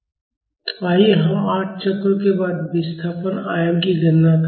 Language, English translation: Hindi, So, let us calculate the displacement amplitude after 8 cycles